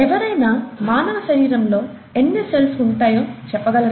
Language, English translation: Telugu, Can anybody guess the number of cells in the human body